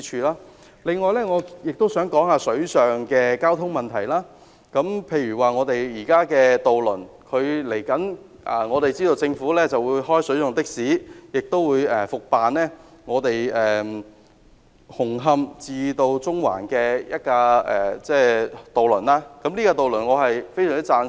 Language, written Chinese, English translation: Cantonese, 另外，關於水上交通問題。政府稍後會開辦水上的士，也會復辦紅磡至中環的渡輪，對此我非常贊成。, Regarding water transport the Government will introduce water taxi shortly and will also re - commission the Hung Hom - Central ferry route I strongly support these initiatives